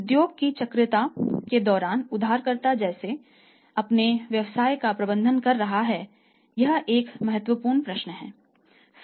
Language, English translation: Hindi, So, cyclicality of industry and how the borrower is managing their business during this cyclicality of the industry is important consideration